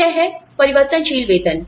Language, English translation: Hindi, So, there is variable pay